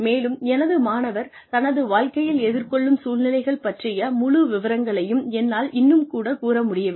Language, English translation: Tamil, And, I can still not come up with, the entire gamut of situations, that my student will face in her life